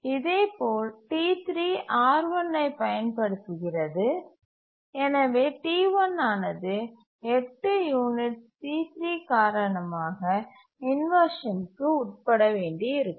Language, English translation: Tamil, T3 also uses R1 and therefore T1 might have to undergo inversion on account of T3 for 8 units